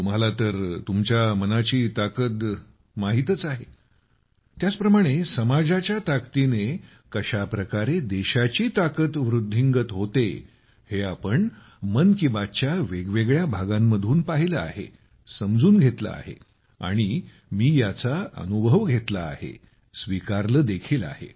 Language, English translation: Marathi, You know the power of your mind… Similarly, how the might of the country increases with the strength of the society…this we have seen and understood in different episodes of 'Mann Ki Baat'